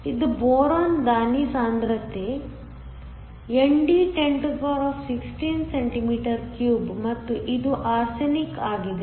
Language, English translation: Kannada, This is boron, there is a donor concentration ND is 1016cm 3 and this is arsenic